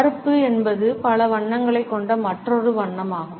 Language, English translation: Tamil, Black is another color which has multiple associations